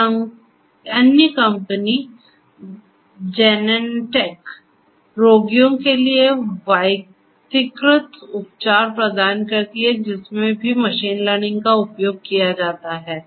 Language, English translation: Hindi, Another company Genentech provide personalized treatment for patients there also machine learning is used